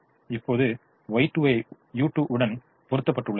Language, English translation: Tamil, now y two is mapped to u two